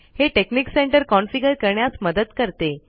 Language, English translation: Marathi, It helps you on how to configure texnic center